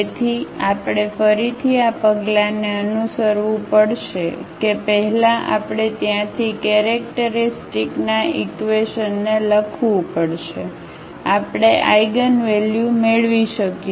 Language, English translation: Gujarati, So, we have to again follow these steps that first we have to write down the characteristic equation from there we can get the eigenvalues